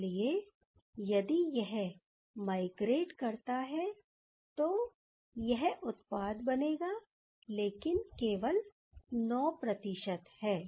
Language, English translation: Hindi, So, if this migrates, then the following product will be, but this is only 9 percent